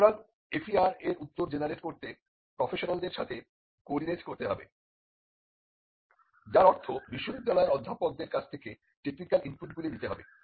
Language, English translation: Bengali, So, it has to coordinate with the professional to generate the reply to the FER, which mean required technical inputs from the university professors